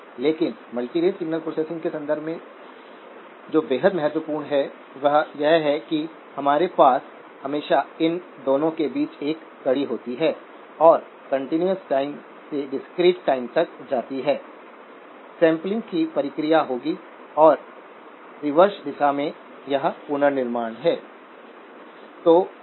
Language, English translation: Hindi, But in the context of multirate signal processing, what is extremely important is that we always have a link between these two and going from continuous time to the discrete time, would be the process of sampling and in the reverse direction, it is the reconstruction